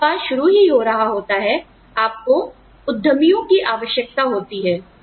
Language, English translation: Hindi, When the business is just being set up, you need entrepreneurs